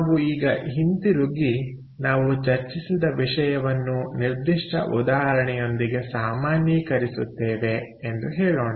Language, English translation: Kannada, ok, so lets go back now and say that we will just generalize what we discussed with a specific example